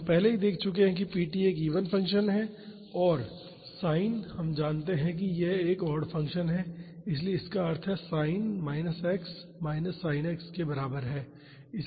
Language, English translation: Hindi, So, we have already seen that p t is an even function and sin we know that it is a odd function so; that means, sin minus x is equal to minus sin x